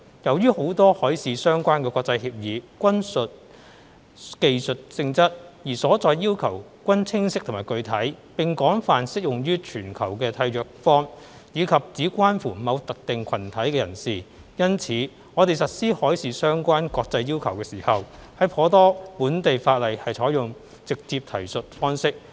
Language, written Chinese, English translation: Cantonese, 由於很多海事相關的國際協議均屬技術性質，而所載要求均清晰和具體，並廣泛適用於全球的締約方，以及只關乎某特定群體人士。因此，在實施海事相關國際要求時，頗多本地法例採用"直接提述方式"。, With many marine - related international agreements being technical in nature clear and specific in their requirements widely applicable to contracting parties internationally and of interest to only a specific group of people the direct reference approach has been adopted in quite a number of local legislation when implementing marine - related international requirements